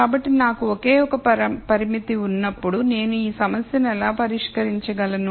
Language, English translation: Telugu, So, when I have just only one constraint, how do I solve this problem